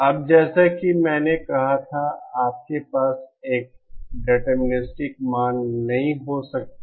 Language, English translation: Hindi, Now how to as I said, you cannot have a deterministic value